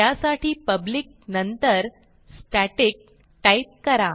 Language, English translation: Marathi, So after public type static